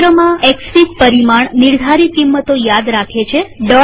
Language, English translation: Gujarati, Within a session, Xfig remembers the parameter values